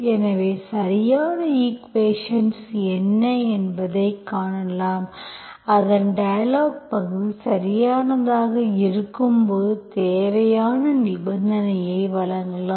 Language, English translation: Tamil, So we have seen what is the exact equation and we have given the necessary condition when it is exact